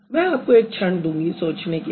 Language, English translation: Hindi, Take a few seconds and think about it